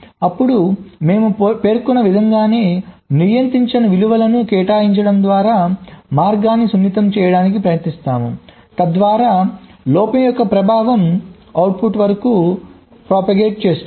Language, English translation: Telugu, then we try to sensitize the path by assigning non controlling values, just in the way we mentioned ok, so that the effect of the fault can propagate up to the output